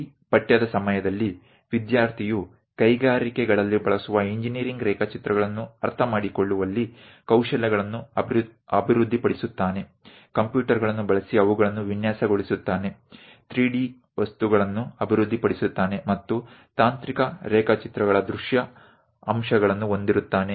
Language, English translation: Kannada, So, during this course, the student will develop skills on understanding of engineering drawings used in industries, how to design them using computers and develop 3D objects, having visual aspects of technical drawings, these are the objectives of our course